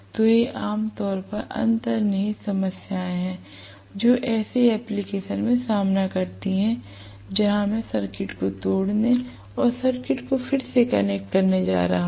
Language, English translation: Hindi, So these are generally inherent problems that are face in such application where I am going to break the circuit and reconnect the circuit